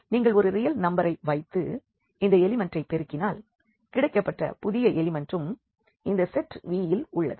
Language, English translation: Tamil, And if you multiply by a real number to this element of this set this new element is also an element of this set V